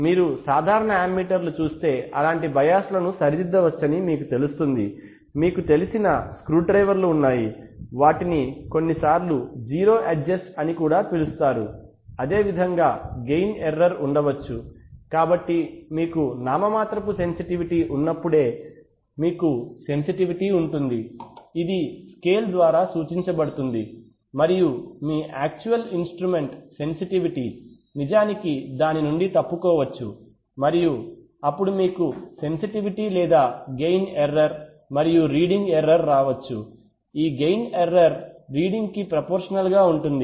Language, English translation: Telugu, 5 ampere of biases, right, if you see ammeters, normal ammeters you will find that such biases can be corrected by, you know, screwdrivers that there are, they are also sometimes called zero adjusts, similarly there can be see there can be a gain error, so you have a sensitivity while we have a nominal sensitivity which is indicated by the scale and your actual instrument sensitivity may actually deviate from that and then you have a sensitivity or gain error and the error in reading due to this gain error is going to be proportional to the reading